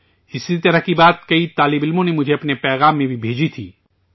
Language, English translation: Urdu, A similar thought was also sent to me by many students in their messages